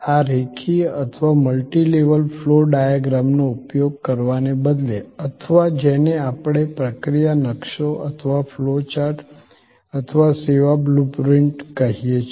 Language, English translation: Gujarati, These instead of using this linear or multi level flow diagrams or what we call process maps or flow charts or service blue print